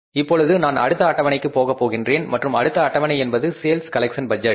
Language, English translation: Tamil, Now I will go to the next schedule and next schedule is that is about the sales collection budget